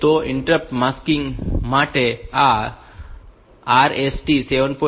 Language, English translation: Gujarati, So, there are for this interrupt masking and this R 7